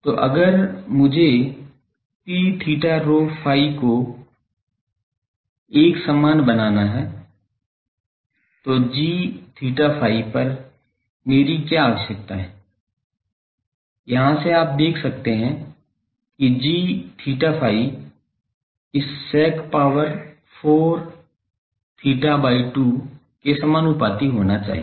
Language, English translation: Hindi, So, if I want to make P theta rho phi uniform then what is my requirement on g theta phi, from here you can see that g theta phi should be proportional to this sec 4 theta by 2